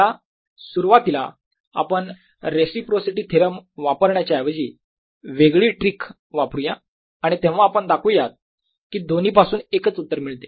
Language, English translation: Marathi, let's just first use a different trick, rather than we using reciprocity's theorem, and then we'll show that the two lead to the same answer